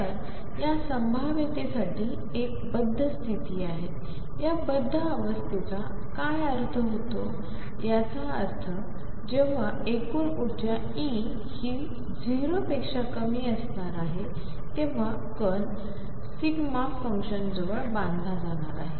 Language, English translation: Marathi, So, there is a bound state for this potential; what do we mean by that bound state; that means, total energy E is going to be less than 0 the particle is going to be bound near a delta function